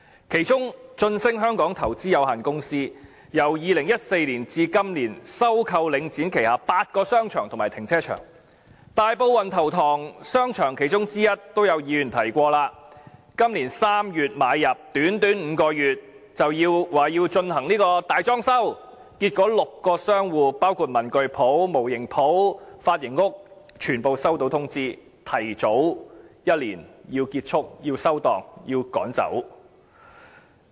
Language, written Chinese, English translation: Cantonese, 其中一個財團是駿昇投資有限公司，由2014年至今年，已收購領展旗下8個商場和停車場，大埔運頭塘邨商場便是其中之一，而剛才已有議員提及，今年3月買入，短短5個月便說要進行大裝修，結果6個商戶，包括文具店、模型店和髮型屋全部收到通知，須提早一年結束、關店，被趕走。, One of these consortiums is Prosperous Glory Investment HK . Limited which has since 2014 acquired eight shopping arcades and car parks from Link REIT including the shopping centre of Wan Tau Tong Estate . As mentioned by Members earlier the acquisition was completed in March this year and after a short period of five months the company proposed major renovation works and as a result six shop tenants including a stationery shop a scale model shop and a hair salon all received a notice and had to wind up close down and be driven away a year earlier than expected